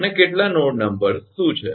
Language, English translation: Gujarati, so how many nodes are there